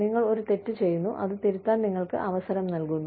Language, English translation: Malayalam, You make a mistake, you are given an opportunity, to rectify it